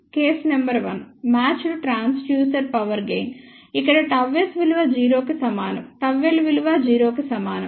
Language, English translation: Telugu, Case number 1 was matched transducer power gain, where gamma S is equal to 0, gamma l is equal to 0